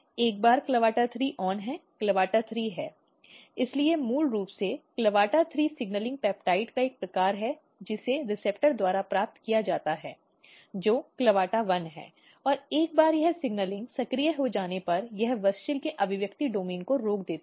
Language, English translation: Hindi, Once CLAVATA3 is on CLAVATA3 is; so, basically CLAVATA3 is a kind of signaling peptide, it is received by receptor which is CLAVATA1 and once this signaling is activated it inhibit expression domain of WUSCHEL